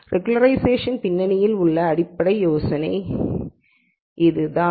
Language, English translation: Tamil, So, that is the basic idea behind regularization